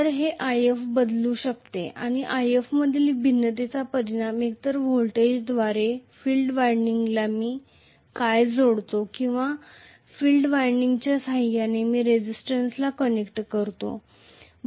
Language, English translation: Marathi, So, this IF can be varied and the variation in IF can be affected either by varying the voltage, what I am connecting to the field winding or I can connect the resistance in series with the field winding